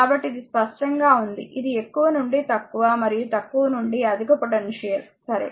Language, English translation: Telugu, So, this is clear to you, that which is higher to lower and lower to higher potential, right